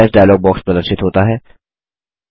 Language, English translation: Hindi, The Save as dialog box is displayed